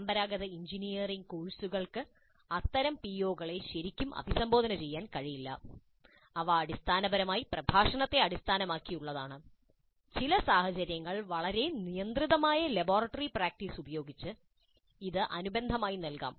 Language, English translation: Malayalam, And such POs cannot be really addressed by the traditional engineering courses which are essentially lecture based, probably supplemented in some cases by a very restricted laboratory practice